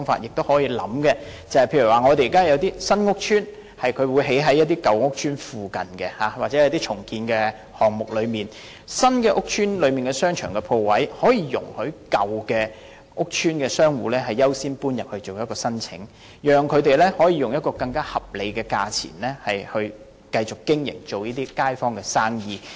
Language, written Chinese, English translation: Cantonese, 現時有些新屋邨會興建在舊屋邨附近，又或是在進行重建項目時，新建屋邨的商場鋪位可以容許舊屋邨商戶優先申請遷入，讓他們可以用一個更為合理的價錢，繼續經營街坊生意。, Currently some new public housing estates are built in the vicinity of old estates or in the course of redevelopment shop tenants of the old estates may be given priority in applying for removal into the shop premises in new estates in order that the old shop tenants can at a reasonable price continuously carry on their business to serve the local residents